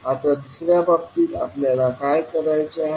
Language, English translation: Marathi, Now, in the second case what you have to do